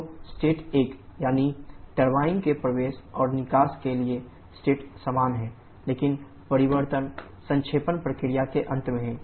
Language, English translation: Hindi, So, the state 1 that is state the entry and exit of turbine are same but the change is at the end of condensation process